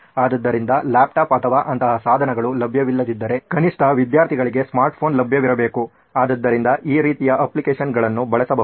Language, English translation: Kannada, So if a laptop or such devices are not available, at least a smartphone should be available with the student so that these kind of applications can be made use of